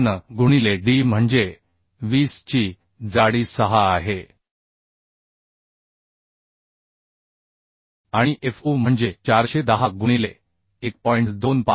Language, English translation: Marathi, 53 into d is 20 thickness is 6 and fu is 410 by 1